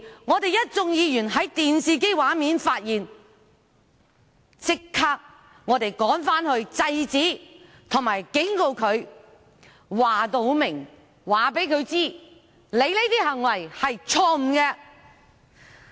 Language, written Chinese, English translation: Cantonese, 我們一眾議員在電視機畫面發現時，便立即趕返會議廳內制止並警告他，清楚告訴他，其行為是錯誤的。, When we realized that on the television screen we immediately dashed back into the Chamber to stop and warn him telling him clearly that his behaviour was wrong